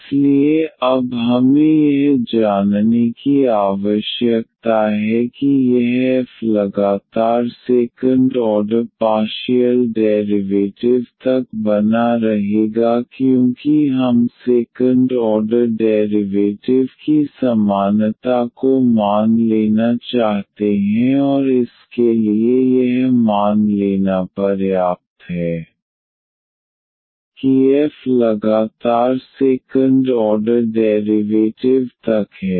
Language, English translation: Hindi, So, now we need to assume that this f to be continuous up to second order partial derivatives because we want to assume the equality of the second order derivatives and for that this is sufficient to assume that f is continuous up to second order derivative